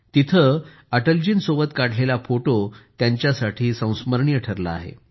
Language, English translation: Marathi, The picture clicked there with Atal ji has become memorable for her